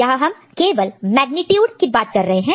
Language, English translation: Hindi, So, here we are talking about the magnitude part only